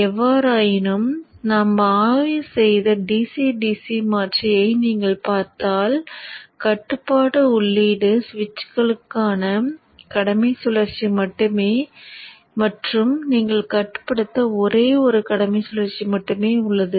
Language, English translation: Tamil, However, if you look at the DCDC converter that we have studied, the control input is only the duty cycle to the switches and there is only one duty cycle available for you to control